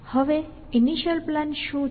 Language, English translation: Gujarati, So, what is the initial plan